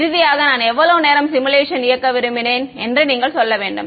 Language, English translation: Tamil, Then finally, you have to tell the simulation that how long do I wanted to run